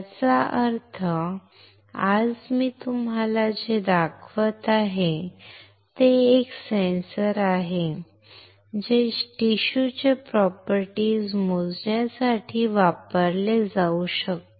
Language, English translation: Marathi, That means, that what I am showing it to you today is a sensor that can be used to measure the properties of tissue